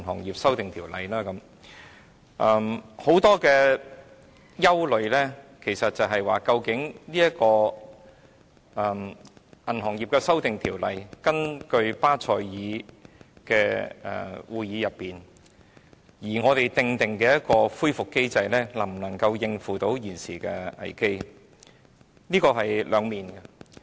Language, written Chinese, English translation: Cantonese, 其實，大家所憂慮的主要是究竟在這項有關銀行業的《條例草案》中，我們根據巴塞爾銀行監管委員會的規定而訂立的恢復機制能否應付現時的危機。, In fact our major concern is this In this Bill concerning the banking industry can the recovery mechanism set up in accordance with the requirements of the Basel Committee on Banking Supervision BCBS cope with the crisis now?